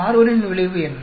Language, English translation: Tamil, What is the effect of carbon